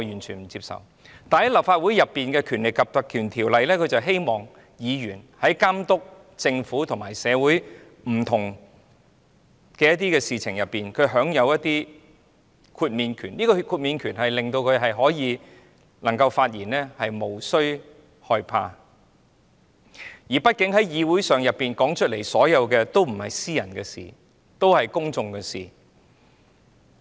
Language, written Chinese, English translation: Cantonese, 然而，在立法會內，《條例》旨在確保議員在監督政府和社會不同事情上，享有一定的豁免權，令他們發言時無須害怕，畢竟議會上討論的事情也不是私人的事，而是公眾的事。, Yet in the Legislative Council PP Ordinance seeks to ensure that Members are entitled to certain exemptions when monitoring the Government and various issues in society so that they have nothing to fear when they speak . After all issues discussed in the legislature are not private but public concerns